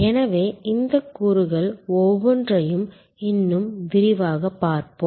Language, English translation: Tamil, So, let us now see each one of these elements more in detail